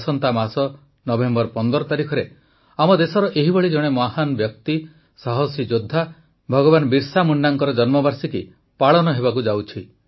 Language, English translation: Odia, Next month, the birth anniversary of one such icon and a brave warrior, Bhagwan Birsa Munda ji is falling on the 15th of November